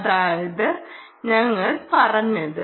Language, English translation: Malayalam, thats what we said